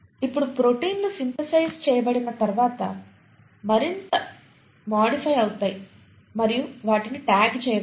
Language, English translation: Telugu, Now once the proteins have been synthesised, the proteins can get further modified and they can even be tagged